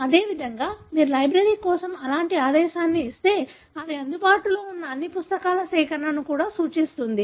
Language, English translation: Telugu, Likewise, if you give such command for library it would also tell you that that also represents collection of all the books that are available